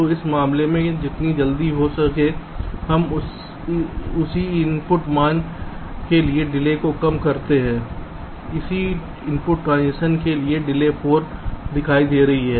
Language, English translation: Hindi, so for this case, as soon as we reduce the delay for the same input values, same input transition, the delay is be showing at four